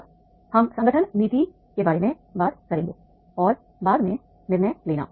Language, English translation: Hindi, Now, we will be talking about the organization policy and decision making later on